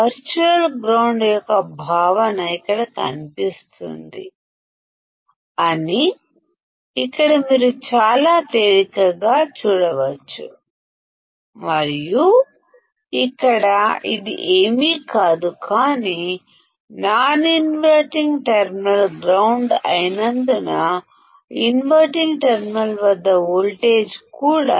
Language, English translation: Telugu, Now here you can see very easily that the concept of virtual ground will appear here and here this is nothing, but because the non inverting terminal is grounded; the voltage at the inverting terminal is also considered as 0 which is your virtual ground